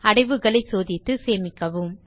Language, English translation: Tamil, Check the folder, and Click on Save